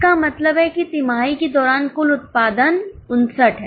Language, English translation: Hindi, That means during the quarter the total production is 59